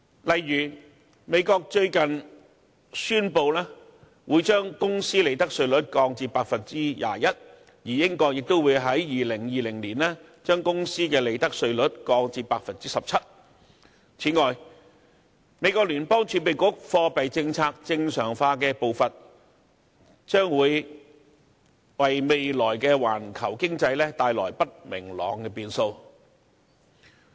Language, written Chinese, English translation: Cantonese, 例如美國最近宣布會將公司利得稅率降至 21%， 而英國亦會在2020年將公司利得稅率降至 17%， 此外，美國聯邦儲備局貨幣政策正常化的步伐，將會為未來的環球經濟帶來不明朗的變數。, For example the United States has recently announced the lowering of the corporate tax rate to 21 % and the United Kingdom will also lower the profits tax rate of companies to 17 % in 2020 . Moreover the pace of the monetary policy normalization adopted by the United States Federal Reserve System will also bring about uncertainties to the future global economy